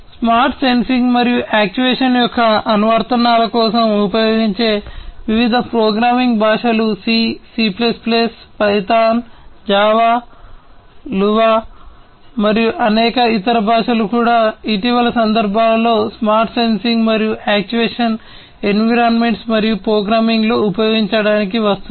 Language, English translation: Telugu, The different programming languages that are used for applications of smart sensing and actuation are C, C plus plus, Python, Java, Lua, and many other languages are also coming up in the recent years for use in the smart sensing and actuation environments and programming those environments